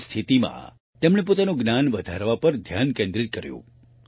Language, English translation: Gujarati, In such a situation, he focused on enhancing his own knowledge